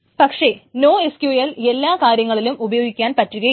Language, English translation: Malayalam, But NoSQL is not good for every scenario